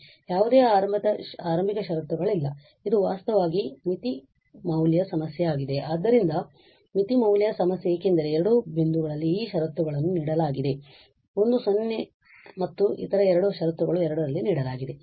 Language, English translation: Kannada, Sorry, there are not initial conditions these are this is the boundary value problem actually, so boundary value problem because at two points this conditions are given one is at 0 and the other one other two conditions are given at 2